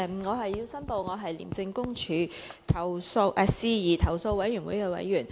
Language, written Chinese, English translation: Cantonese, 我要申報我是廉政公署事宜投訴委員會的委員。, I declare that I am a member of the ICAC Complaints Committee